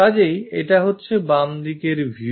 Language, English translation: Bengali, So, it is left side view